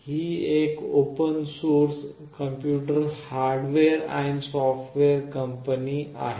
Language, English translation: Marathi, It is an open source computer hardware and software company